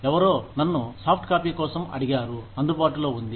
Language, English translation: Telugu, Somebody had asked me, for softcopy, was available